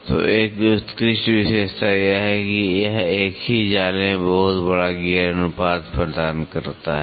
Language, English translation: Hindi, So, an outstanding feature is that it offers a very large gear ratio in a single mesh